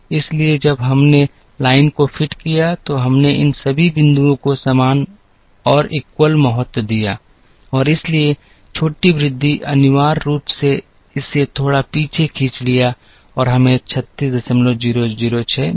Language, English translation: Hindi, So, in when we fitted the line, we gave equal importance to all these points and therefore, the smaller increase, essentially pulled it back a little bit and we got 36